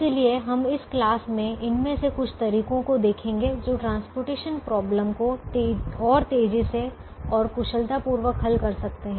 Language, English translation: Hindi, so in this class we will look at some of these methods that can solve the transportation problem faster and efficiently